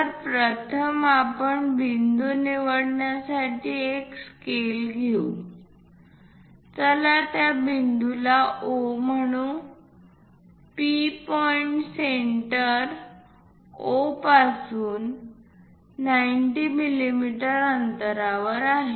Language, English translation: Marathi, So, first let us take scale pick a point, let us call that point as O P point is 90 mm away from centre O